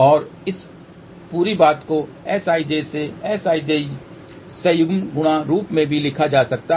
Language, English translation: Hindi, And this whole thing can also be written in the form of S ij multiplied by S ij conjugate